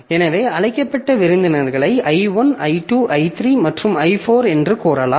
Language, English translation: Tamil, So, I have got the invited guest, I1, I2, I3 and I4